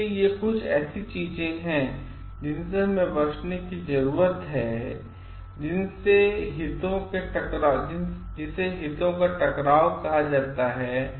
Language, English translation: Hindi, So, these are something where we need to avoid which is called the conflict of interest